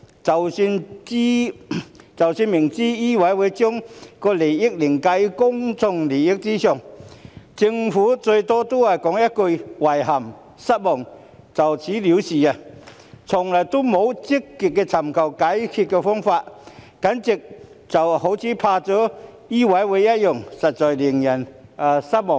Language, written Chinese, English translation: Cantonese, 即使明知醫委會將行業利益凌駕於公眾利益上，政府最多只是說一句"遺憾失望"便了事，從來沒有積極尋求解決的方法，簡直好像怕了醫委會一樣，實在令人失望。, Despite being well aware that MCHK has put the interests of the profession before public interests the most the Government can do is to express regret and disappointment and thats it . It has never proactively sought a solution to the problems as if it is afraid of MCHK . This is truly disappointing